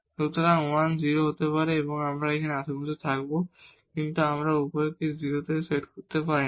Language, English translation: Bengali, So, 1 can be 0, we will be still in the neighborhood, but we cannot set both to 0 together